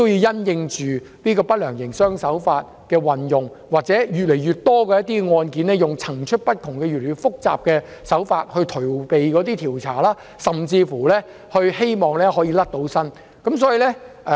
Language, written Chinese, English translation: Cantonese, 因應不良營商手法的運用，以及越來越多案件利用層出不窮、越來越複雜的手法以逃避調查及脫罪，政府應適時對人手作出調整。, In face of an increasing number of cases in which increasingly complicated tactics are employed to evade investigation and prosecution the Government should adjust its manpower promptly